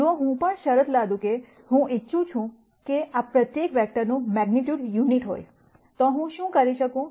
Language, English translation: Gujarati, If I also impose the condition, that I want each of these vectors to have unit magnitude then what I could possibly do